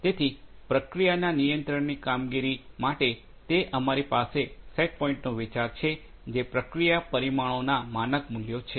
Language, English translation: Gujarati, So, controlled operation of the process for that we have this concept of the state set points, which are the standard values of the process parameters